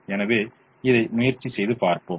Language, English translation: Tamil, so let us try and do this